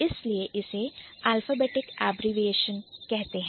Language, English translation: Hindi, So, that is why this will be alphabetic abbreviation